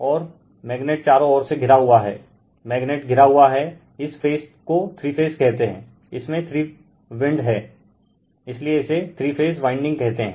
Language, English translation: Hindi, And magnet is surrounded by right magnet is the your surrounded by that your some your what we call phase three phase your that three wind, the three phase winding called right